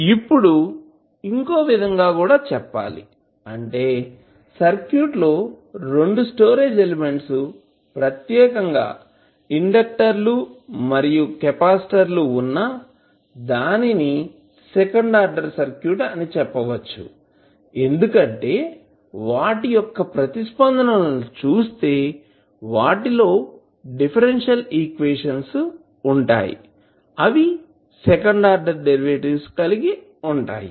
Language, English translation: Telugu, Now, we can also say that the circuit which contains 2 storage elements particularly inductors and capacitors then those are called as a second order circuit because their responses include differential equations that contain second order derivatives